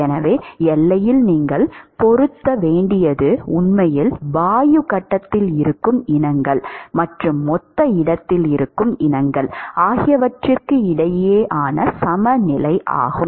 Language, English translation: Tamil, So, what you have to match at the boundary is actually equilibrium between the species, which is present in the gas phase and the species, which is present in the bulk space